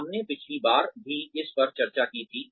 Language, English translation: Hindi, We discussed this last time also